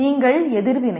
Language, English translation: Tamil, Then you react